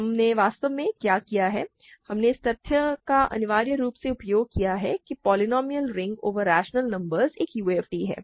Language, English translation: Hindi, What we have really done is we have essentially used the fact that the polynomial ring over rational numbers is a UFD